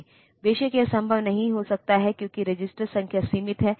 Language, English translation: Hindi, Of course, that may not be possible because registers are limited in number